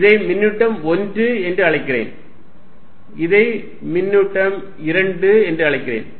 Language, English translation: Tamil, I am calling this charge 1, I am calling this charge 2